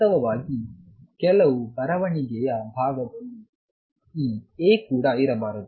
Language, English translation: Kannada, In fact, in some writing side even this A should not be there